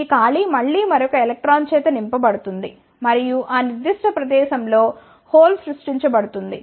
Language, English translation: Telugu, This vacancy is again filled by another electron and the hole will be created at that particular location